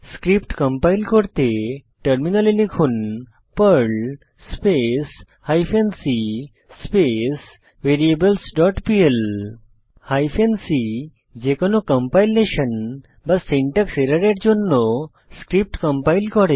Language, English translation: Bengali, To compile this Perl script, on the Terminal typeperl hyphen c variables dot pl Hyphen c switch compiles the Perl script for any compilation/syntax error